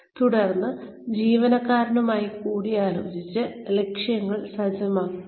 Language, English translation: Malayalam, And then, set objectives in consultation with the employee